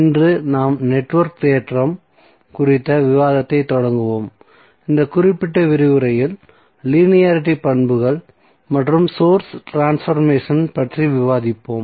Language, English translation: Tamil, So today we will start the discussion on network theorem, and in this particular lecture we will discuss about the linearity properties and the source transformation